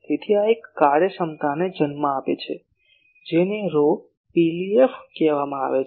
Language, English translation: Gujarati, So, this gives rise to an efficiency which is called rho PLF